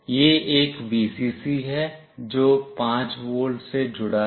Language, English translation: Hindi, This one is the Vcc, which is connected to 5 volt